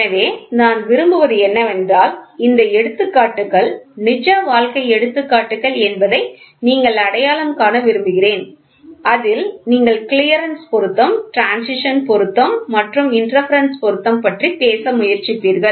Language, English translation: Tamil, So, what I want is I want you to identify examples these examples are real life examples, real life example wherein which you will try to talk about clearance, fit, the interference fit and then transition fit, ok